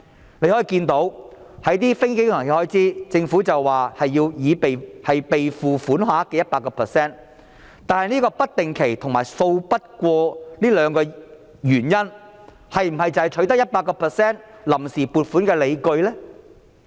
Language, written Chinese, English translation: Cantonese, 就一些非經常性開支，申請的臨時撥款額為預算案所示備付款額的 100%， 但"不定期"和"數筆過"這兩個原因是否取得 100% 臨時撥款的理據呢？, As for certain non - recurrent expenditure items 100 % of their provisions as shown in the Budget is sought but are the two factors of irregular and lumpy nature the rationale for seeking 100 % of their provisions?